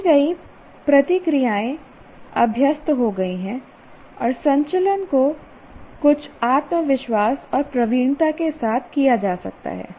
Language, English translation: Hindi, That is learned responses have become habitual and the movements can be performed with some confidence and proficiency